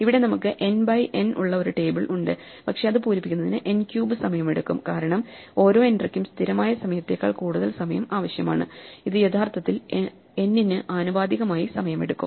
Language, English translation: Malayalam, Here, we have a table which is n by n, but it takes n cube time to fill it up because each entry it requires more than constant time, it actually takes time proportional to n